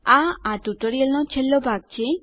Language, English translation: Gujarati, This is the last part of this tutorial